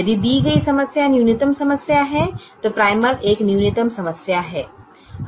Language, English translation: Hindi, if the given problem is a minimization problem, then the primal is a minimization problem